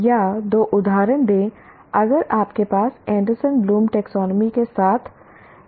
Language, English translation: Hindi, Or give two instances if you have that are it variance with the Anderson Bloom taxonomy